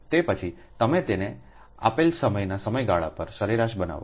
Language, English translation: Gujarati, after that you make the take average of it over a given interval of time